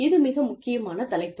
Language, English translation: Tamil, Very, very, important topic